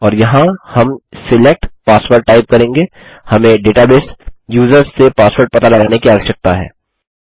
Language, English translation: Hindi, mysql query and here we will type SELECT password We need to ascertain the password from the database users